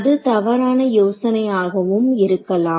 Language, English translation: Tamil, So, maybe that is a bad idea